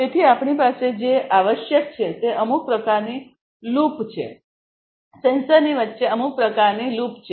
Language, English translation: Gujarati, So, what we have essentially is some kind of a loop, some kind of an you know a loop between the between the sensor